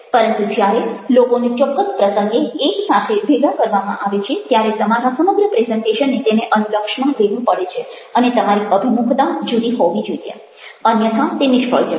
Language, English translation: Gujarati, but when people are brought together, let say by a specific occasion, then your entire presentation has to take that into consideration and you have to have a different orientation, otherwise it will be a failure